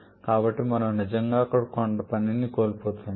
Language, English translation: Telugu, So, we are actually losing a bit of work there